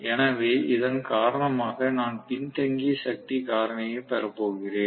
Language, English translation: Tamil, So because of which I am going to have the power factor lagging